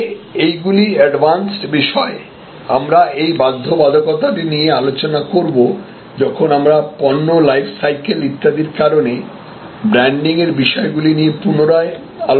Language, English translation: Bengali, But, these are some advanced topics we will discuss this compulsion sometimes when we revisit the branding issues in light of these things like product lifecycles, etc